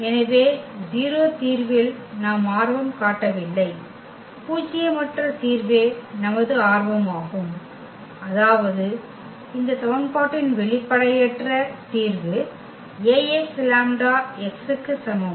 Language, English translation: Tamil, So, we are not interested in the 0 solution, our interested in nonzero solution; meaning the non trivial solution of this equation Ax is equal to lambda x